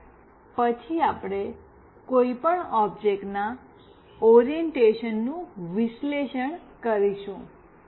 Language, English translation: Gujarati, And then we will analyze the orientation of any object